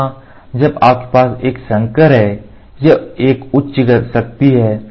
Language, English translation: Hindi, So, here when you have a hybrid it has a high strength that is what it is